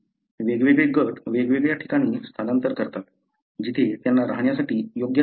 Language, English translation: Marathi, The different groups migrate to different place, wherever they find, the place suitable for living